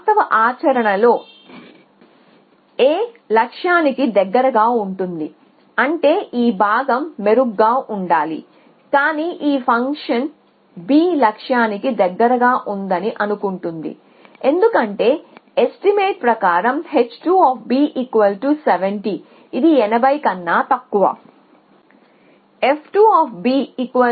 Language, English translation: Telugu, So, in actual practice A is closer to the goal which means this part should have been better, but this function will think that B is closer to the goal because of the estimate it has h 2 of B is 70 which is less than 80